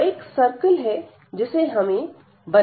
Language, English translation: Hindi, So, this is the circle which we can draw now first